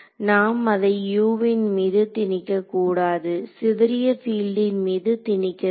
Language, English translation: Tamil, We should not be imposing it on U we should be imposing it on scattered field right